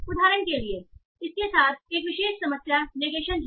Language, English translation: Hindi, So for example, one particular problem with these is negation